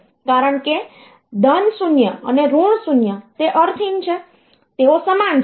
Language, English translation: Gujarati, Because plus 0 and minus 0 that is meaningless; they are same